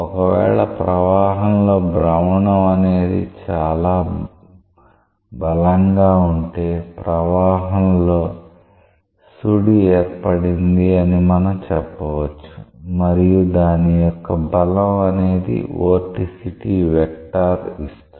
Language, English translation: Telugu, So, if this rotationality in the flow is very strong we say a vortex is created in the flow and the strength of that is given by the vorticity vector